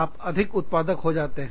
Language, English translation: Hindi, You become, more productive